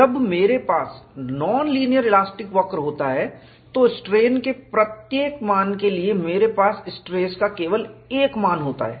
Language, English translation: Hindi, When I have a non linear elastic curve, for every value of strain, you have only one value of stress; there is no difficulty at all